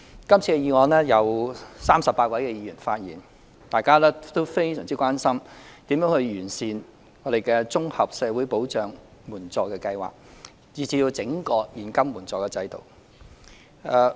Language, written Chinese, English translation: Cantonese, 今次的議案共有38位議員發言，大家均非常關心如何完善綜合社會保障援助計劃，以至是整個現金援助制度。, Thirty - eight Members in total have spoken on this motion . They are all deeply concerned about enhancing the Comprehensive Social Security Assistance CSSA Scheme and the cash assistance system